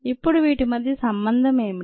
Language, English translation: Telugu, now what is the relevance here